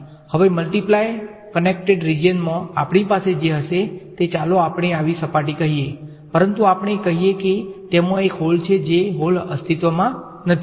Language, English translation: Gujarati, Now in a multiply connected region, what we will have is let us say a surface like this, but let us say there is a hole in it that hole does not exist